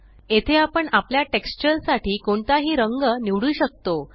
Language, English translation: Marathi, Here we can select any color for our texture